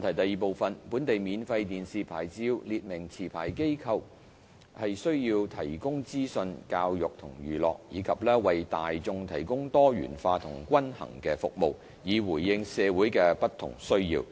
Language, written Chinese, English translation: Cantonese, 二本地免費電視牌照列明持牌機構須提供資訊、教育及娛樂，以及為大眾提供多元化及均衡的服務，以回應社會的不同需要。, 2 The domestic free TV licence stipulates that a licensee shall inform educate and entertain the audience and provide a diversified and balanced service to meet the different needs of the community